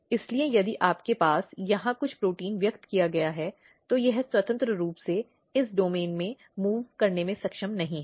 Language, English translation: Hindi, So, if you have something protein is expressed here, it is not freely able to move in this domain